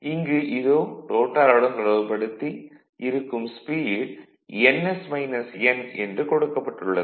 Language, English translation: Tamil, So, naturally what will happen this as rotor is rotating with speed n which is less than ns right which is less than ns